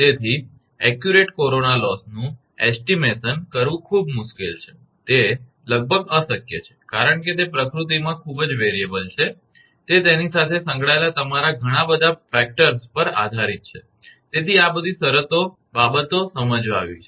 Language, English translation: Gujarati, So, estimation of accurate corona loss is very difficult, it is almost impossible because of it is extremely variable in nature; it depends on your so many factors associated with it, so all these things have been explained